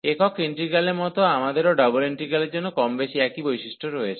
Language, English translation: Bengali, So, similar to the single integral, we have more or less the same properties for the double integral as well